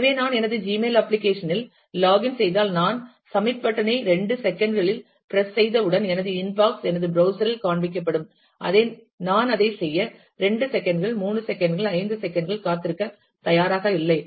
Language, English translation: Tamil, So, if I log in to my Gmail application, and I would expect that as soon as I press the submit button with a couple of seconds, my inbox will be displayed on my browser, I am not ready to wait for 2 minutes, 3 minutes, 5 minutes for doing that